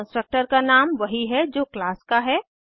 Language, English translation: Hindi, It has the same name as the class name